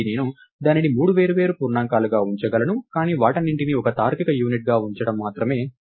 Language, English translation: Telugu, Again I could have kept it as three separate integers, but putting all of them as one logical unit makes sense